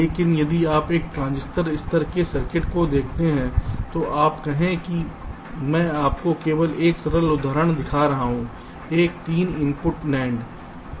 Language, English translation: Hindi, but if you look at a transistor level circuit, lets say i am just showing you one simple example a, three input nand